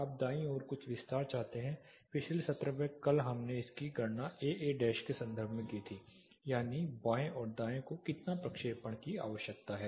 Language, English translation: Hindi, You want some extension to the right yesterday you know the last session we calculated it in terms of AA dash that is how much projection is needed to the left and right